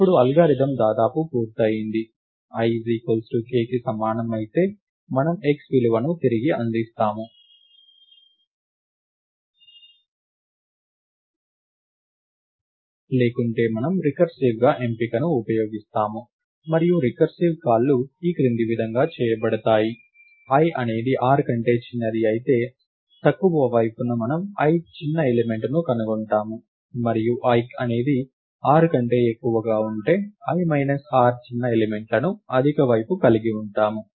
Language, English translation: Telugu, So, the algorithm is almost complete now, if i is equal to k then we return the value x, otherwise we use select recursively and the recursive calls are made as follows, we find the ith smallest element in the low side, if i is smaller than r and we find the i minus r smallest element in the high side, if i is more than r